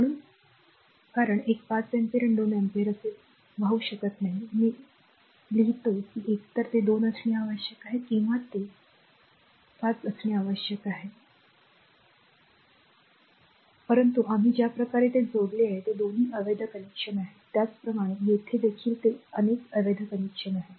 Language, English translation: Marathi, So, because a 5 ampere 2 ampere cannot flow like this I write the either it has to be 2 or it has to be your what you call this 5, but both the way we have connected it is invalid connection similarly here also it is invalids connection